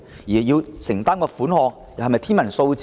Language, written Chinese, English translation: Cantonese, 需要承擔的款項，是否天文數字呢？, Will the necessary commitment be an astronomical sum?